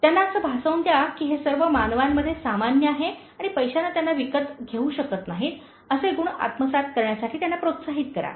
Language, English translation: Marathi, Make them feel that, that is something normal with all human beings and encourage them to acquire those qualities that money cannot buy for them